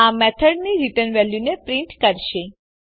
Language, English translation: Gujarati, This will print the return value of the method